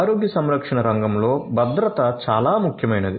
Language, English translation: Telugu, So, security is paramount in the healthcare sector